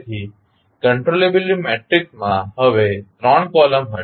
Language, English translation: Gujarati, So, the controllability matrix will now have 3 columns